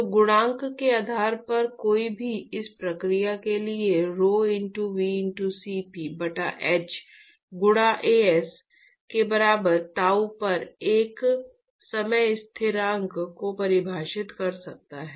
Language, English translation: Hindi, So, based on the coefficient one could define a time constant for this process at tau equal to rho*V*Cp by h into As